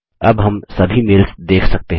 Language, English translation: Hindi, We can view all the mails now